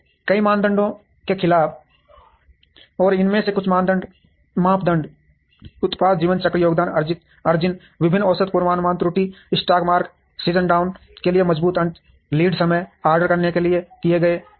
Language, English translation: Hindi, Against several criteria and some of these criteria are product life cycle, contribution margin, variety average forecast error, stock out forced end of season markdown, lead time, for made to order